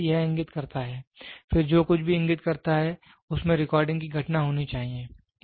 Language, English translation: Hindi, So, then first it indicates, then whatever it indicates should have a phenomena of recording